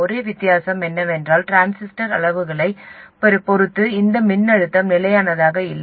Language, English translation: Tamil, The only difference is that this voltage is not constant with respect to transistor parameters